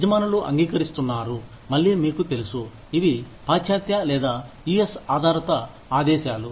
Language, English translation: Telugu, Employers accord, again, you know, these are western, or US based mandates